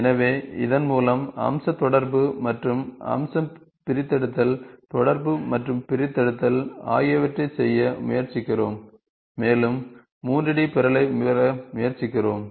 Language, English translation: Tamil, So with this, we try to do feature in interaction and feature extraction, interaction and extraction is done and we try to get the 3D object